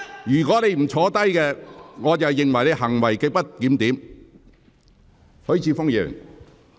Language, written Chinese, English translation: Cantonese, 如果你不坐下，我會視之為行為極不檢點。, If you do not sit down I will regard your conduct as grossly disorderly